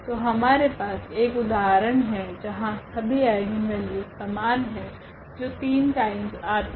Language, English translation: Hindi, So, we have an example where all these we have the same eigenvalues, but repeated three times